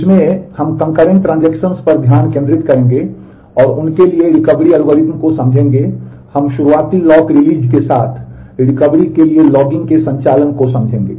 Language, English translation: Hindi, In this, we will focus on concurrent transactions and understand the recovery algorithm for them and we will understand the operation of logging for recovery with early lock release